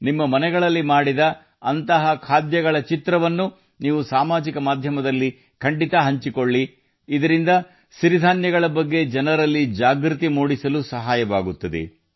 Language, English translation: Kannada, You must share the pictures of such delicacies made in your homes on social media, so that it helps in increasing awareness among people about Millets